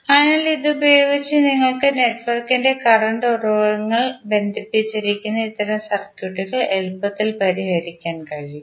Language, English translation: Malayalam, So, with this you can easily solve these kind of circuits, where you have current sources connected in the network